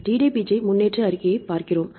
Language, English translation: Tamil, So, we go DDBJ progress report right